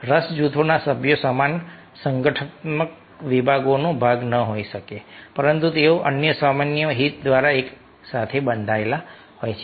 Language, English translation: Gujarati, members of interest groups may not be part of the same organizational department but they are bound together by some other common interest